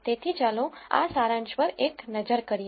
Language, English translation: Gujarati, So, let us take a look at this summary